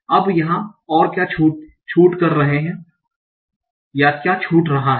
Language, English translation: Hindi, Now what is this missing here